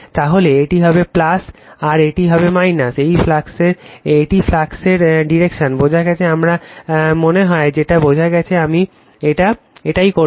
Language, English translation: Bengali, Then this will be plus, and this will be minus, this is the direction of the flux got it, I think you have got it right so, this I will make it